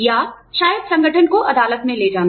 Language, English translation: Hindi, Or, maybe, taking the organization to court